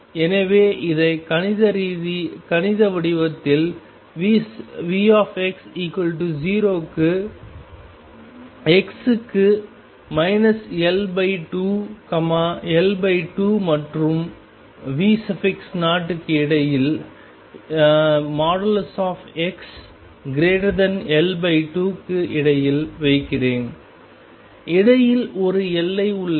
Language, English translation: Tamil, So, let me put this in mathematical form V x equals 0 for x between minus L by 2 L by 2 and V 0 for mod x greater than L by 2 and in between there is a boundary